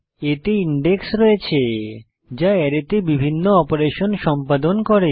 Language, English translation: Bengali, It has an index, which is used for performing various operations on the array